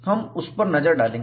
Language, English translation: Hindi, We will look at that